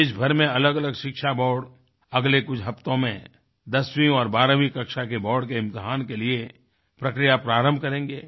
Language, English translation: Hindi, In the next few weeks various education boards across the country will initiate the process for the board examinations of the tenth and twelfth standards